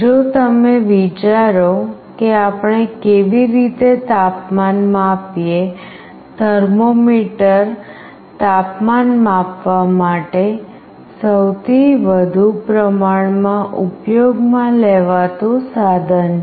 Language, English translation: Gujarati, If you think of how we measure temperature, thermometer is the most widely used instrument for temperature sensing